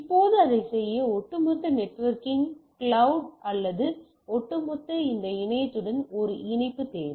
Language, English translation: Tamil, Now in order to do that, I need to a connection to the overall networking cloud right or overall this internet; how do I connect